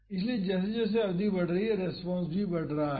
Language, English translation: Hindi, So, as the duration is increasing the response is also increasing